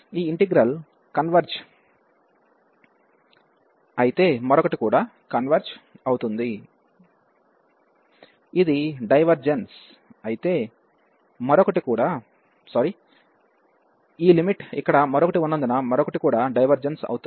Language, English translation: Telugu, If this integral of converges, the other one will also converge; if this diverges, other one will also diverge because of this limit is one here